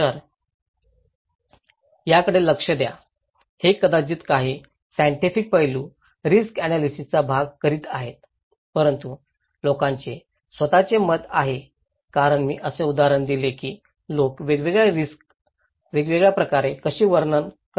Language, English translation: Marathi, So, look into this, that first maybe some scientific aspect doing that risk analysis part but people have their own perceptions as I gave the example that how people interpret different risk in different ways